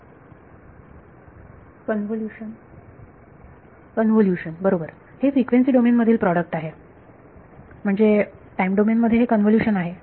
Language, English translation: Marathi, Convolution right this is a product in frequency domain, so in time domain it is convolution